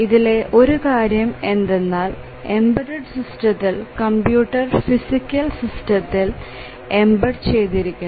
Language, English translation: Malayalam, So, one thing is that in the embedded system the computer is embedded in the physical system